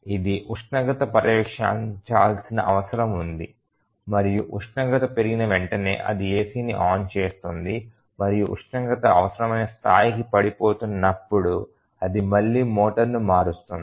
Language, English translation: Telugu, The task is very simple it just needs to monitor the temperature and as soon as the temperature rises it turns on the AC and as the temperature falls to the required level it again switches up the motor